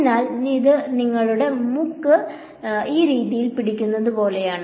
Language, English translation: Malayalam, So, that is like holding your nose this way